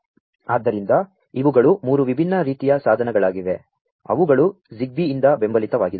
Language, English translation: Kannada, So, these are the 3 different types of devices that are supported by Zigbee